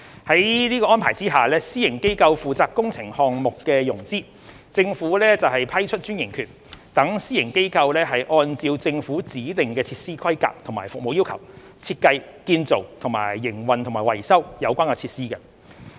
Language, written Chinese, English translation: Cantonese, 在此安排下，私營機構負責工程項目的融資，政府則批出專營權，讓私營機構按照政府指定的設施規格和服務要求，設計、建造、營運及維修有關設施。, Under this arrangement a private sector organization is responsible for funding the project whilst the Government grants it a franchise to design build operate and maintain the facility in accordance with the Governments specifications and service requirements